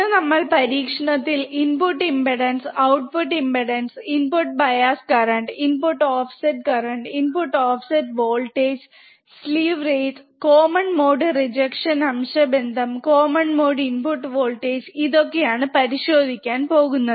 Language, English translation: Malayalam, So, today we will check several things in the in the experiment starting with the input impedance, output impedance, input bias current, input offset current, input offset voltage, slew rate, common mode rejection ratio, common mode input voltage so, several things are there right